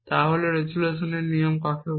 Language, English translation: Bengali, So, what is the resolution rule as it is called